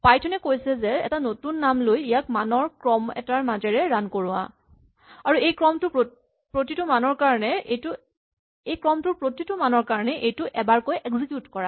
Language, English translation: Assamese, So, what python says is take a new name and let it run through a sequence of values, and for each value in this sequence executes this once right